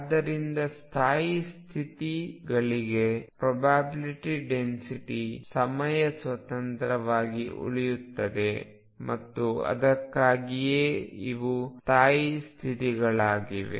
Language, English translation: Kannada, So, for a stationary states the probability density remains independent of time and that is why these are stationary states